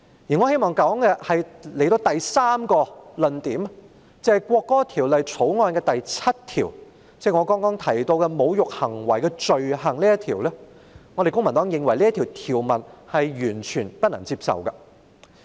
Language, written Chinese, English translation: Cantonese, 我希望說的第三個論點，是關於《條例草案》第7條，即是我剛才提到的"侮辱行為的罪行"，公民黨認為，這項條文是完全不能接受的。, This is simply because you were biased and unfair . The third argument that I wish to put forward concerns about clause 7 of the Bill which is the offence of insulting behaviour that I have referred to earlier . The Civic Party considers this provision totally unacceptable